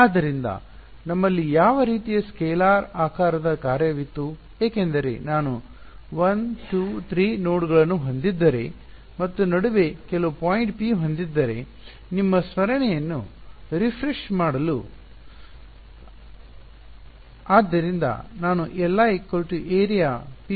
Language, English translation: Kannada, So, what was the kind of scalar shaped function that we had because just to refresh your memory if I had nodes 1 2 3 and some point P in between right